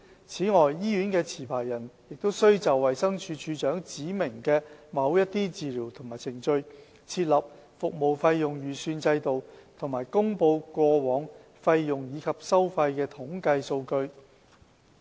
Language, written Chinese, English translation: Cantonese, 此外，醫院的持牌人亦須就衞生署署長指明的某些治療及程序，設立服務費用預算制度和公布過往費用及收費的統計數據。, Furthermore the licensee of a hospital will also be required to put in place a budget estimate system and to publish historical statistics on fees and charges in respect of the treatments and procedures specified by DoH